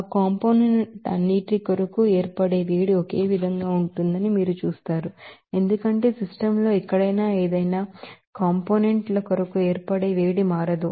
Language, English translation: Telugu, You see that heat of formation for all those components will be same, because heat of formation for any components will not be changed anywhere in the system